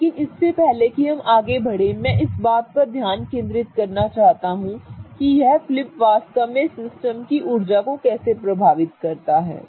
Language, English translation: Hindi, But before we go ahead and do all those things, I want to focus on how this flip really affects the energetics of the system